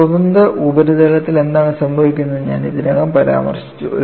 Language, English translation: Malayalam, You know, I have already mentioned what happens on a free surface